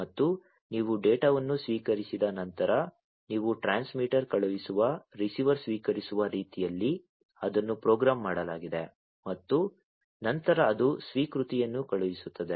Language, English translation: Kannada, And after you receive the data, it has been programmed in such a manner that you the transmitter sends, receiver receives, and then it will send an acknowledgment